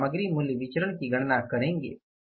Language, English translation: Hindi, You will calculate the material price variance